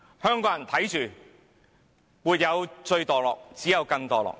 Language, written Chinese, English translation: Cantonese, 香港人看着，沒有最墮落，只有更墮落。, As Hongkongers can see there is no limit in being degenerative